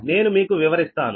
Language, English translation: Telugu, i will explain